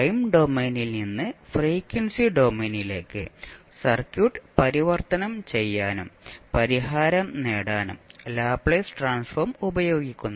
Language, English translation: Malayalam, Now, Laplace transform is used to transform the circuit from the time domain to the frequency domain and obtain the solution